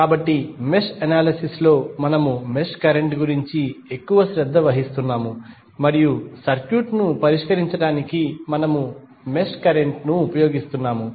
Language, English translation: Telugu, So, in the mesh analysis we are more concerned about the mesh current and we were utilizing mesh current to solve the circuit